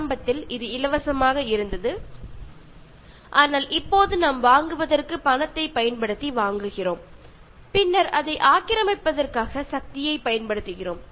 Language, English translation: Tamil, Initially it was free, but now we are buying using money for buying and then using power to possess it